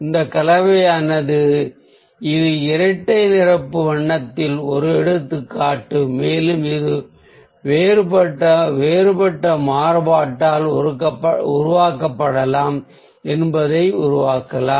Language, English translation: Tamil, so a combination of this is one example of a double complementary colour and you can make out that it can be created by different variation